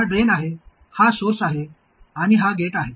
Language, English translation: Marathi, This is the drain, this is the source and this is the gate